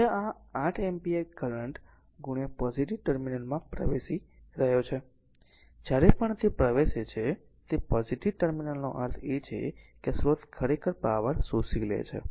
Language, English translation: Gujarati, Now, this 8 ampere current is entering into the positive terminal, whenever it enters into the positive terminal means this source actually absorbing power